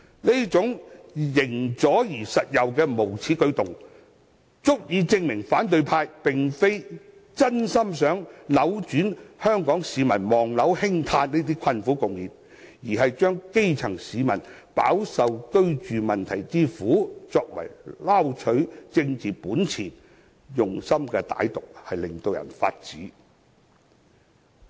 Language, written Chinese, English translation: Cantonese, 這種"形左實右"的無耻舉動，足以證明反對派並非真心想扭轉香港市民"望樓興嘆"的困苦局面，而是要利用基層市民飽受居住問題之苦，撈取政治本錢，用心之歹毒實在令人髮指。, This shameless act of those who are left in form but right in essence fully illustrates how insincere the opposition camp is in their pledge of reversing the home - seeking plight of Hong Kong people . They want to use the grass - root housing problems to reap political mileage . Their evil intention is horrendous indeed